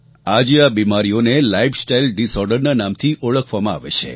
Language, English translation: Gujarati, Today these diseases are known as 'lifestyle disorders